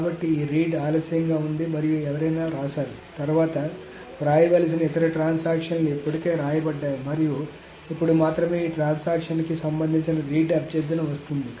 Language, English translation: Telugu, So essentially this read is late and there is somebody written some other transaction which was supposed to write later has already written and only now the read request for this transaction is coming